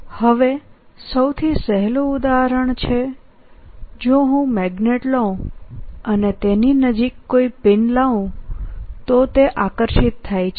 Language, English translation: Gujarati, now the simplest example is if i take a magnet and bring a pin close to it, it gets attracted